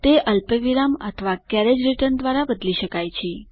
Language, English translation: Gujarati, It can be replaced by a comma or a carriage return